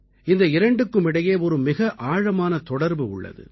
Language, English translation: Tamil, There has always been a deep connect between the two